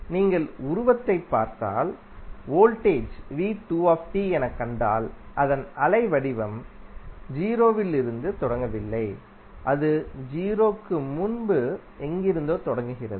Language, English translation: Tamil, If you see this particular figure and you see the voltage V2T, so its waveform is not starting from zero, it is starting from somewhere before zero